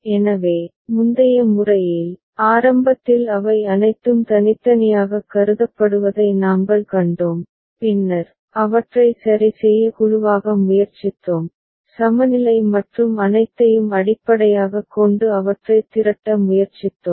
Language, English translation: Tamil, So, in the earlier method, what we had seen that initially they are all considered separate and then, we tried to group them ok, we tried to pool them based on equivalence and all